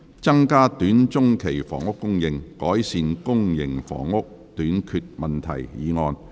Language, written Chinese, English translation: Cantonese, "增加短中期房屋供應，改善公營房屋短缺問題"議案。, Motion on Increasing housing supply in the short to medium term to rectify the problem of public housing shortage